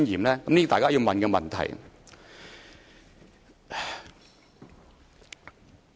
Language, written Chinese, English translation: Cantonese, 這是大家要問的問題。, This is a question we should all ask